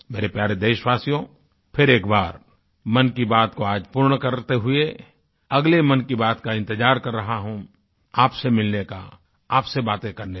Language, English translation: Hindi, Once again, while concluding this episode, I wait most eagerly for the next chapter of 'Mann Ki Baat', of meeting you and talking to you